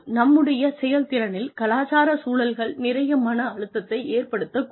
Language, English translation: Tamil, Intercultural environments can place, a lot of stress, on our performance